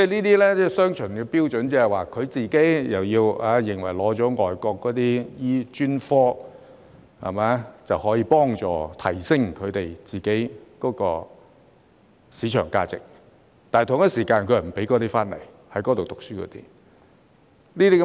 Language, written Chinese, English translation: Cantonese, 這是雙重標準，他們認為取得外國專科資格可以幫助提升自己的市場價值，但又不願在外國讀書的醫生回來執業。, This is a double standard . While they consider that the specialist qualifications obtained in foreign countries will help enhance their market value they do not want overseas trained doctors to return and practise here